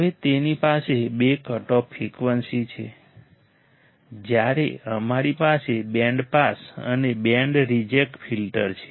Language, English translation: Gujarati, Now it has two cutoff frequency, when we have band pass and band reject filter